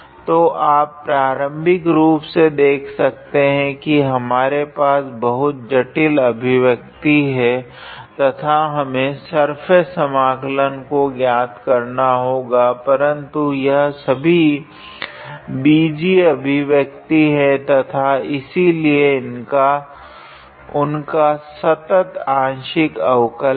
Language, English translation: Hindi, So, you see initially we had a very how to say complicated expression and we had to evaluate the surface integral, but all of these things are just algebraic expression and therefore, they must have continuous partial derivatives